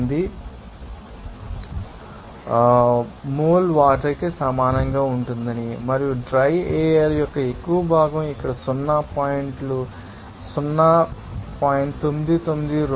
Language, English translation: Telugu, 008 mole of water per mole of humid air and the more fraction of dry air will be able to here zero point you know 0